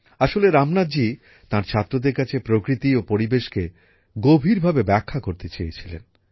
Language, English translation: Bengali, Actually, Ramnath ji wanted to explain deeply about nature and environment to his students